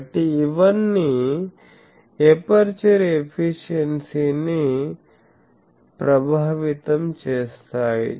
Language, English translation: Telugu, So, all this effects the aperture efficiency